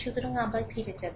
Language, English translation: Bengali, So, again we will go back right